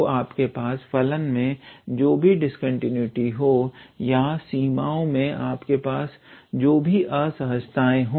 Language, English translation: Hindi, So, whether you have the discontinuity in the function or whether you have improperness in the limit